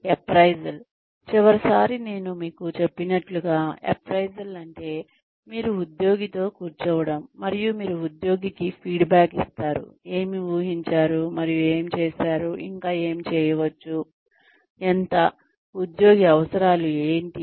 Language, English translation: Telugu, Appraisal, like I told you last time, appraisal means, that you sit with the employee, and you give feedback to the employee as to, what was expected, and what was done, and what can be done more, how much, what the employee needs